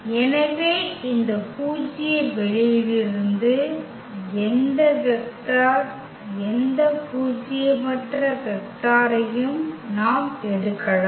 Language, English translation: Tamil, So, we can pick any vector, any nonzero vector from this null space